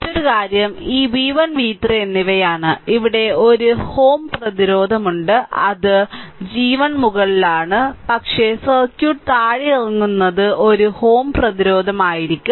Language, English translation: Malayalam, Another thing is this v 1 and v 3 and here you have one ohm resistance, it is it is ah g 1 up, but you bring down the circuit will one ohm resistance